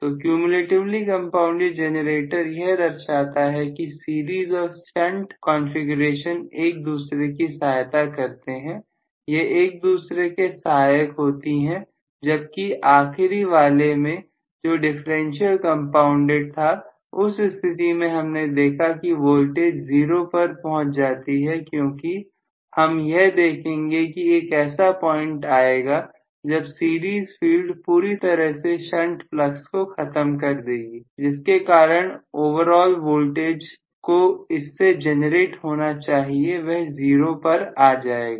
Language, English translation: Hindi, So, cumulatively compounded generator indicates that the series and shunt are always in the aiding configuration, they are going to aid each other were as the last one what we just said was differential compounded, so in which case it is going to fall dawn to 0 voltage condition because I am going to have at some point the series field completely killing may be the shunt flux, because of which the overall voltage that is generated itself is going to be come eventually 0